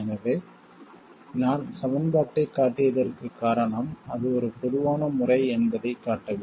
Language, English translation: Tamil, So the reason I showed the equations is to show that it is a general method